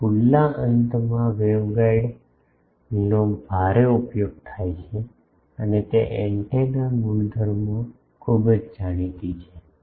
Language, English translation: Gujarati, It is heavily used this open ended waveguide and it is antenna properties are very well known